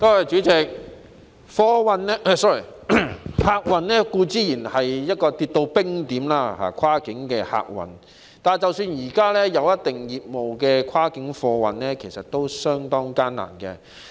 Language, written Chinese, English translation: Cantonese, 主席，跨境客運固然已跌至冰點，但即使現時維持一定業務的跨境貨運，其實經營亦相當艱難。, President cross - boundary passenger services have apparently been frozen . Meanwhile while cross - boundary freight operators are currently maintaining a certain level of services they are actually operating with great difficulties